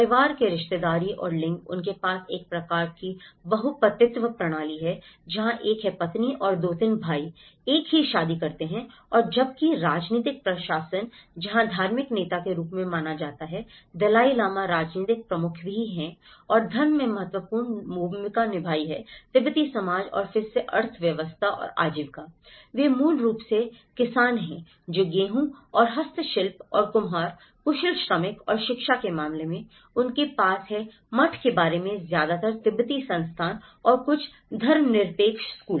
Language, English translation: Hindi, And whereas, the political administration, where the religious leader is considered as the Dalai Lama was also the political head and there is religion has placed an important role in the Tibetan society and again economy and livelihood; they are basically the farmers, barley, wheat and handicrafts and potters, the skilled labour and in terms of education, they have about the monastery mostly, Tibetan institutions and a few secular schools